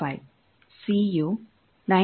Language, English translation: Kannada, 25, c is 9